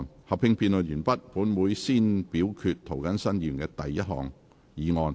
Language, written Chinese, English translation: Cantonese, 合併辯論完畢後，本會會先表決涂謹申議員的第一項議案。, After the joint debate has come to a close this Council will first vote on Mr James TOs first motion